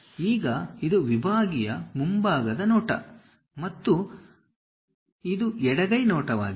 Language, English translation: Kannada, Now, this is the sectional front view and this is left hand side view